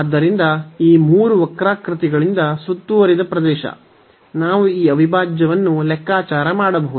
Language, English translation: Kannada, So, that is the area bounded by these 3 curves, we can compute this integral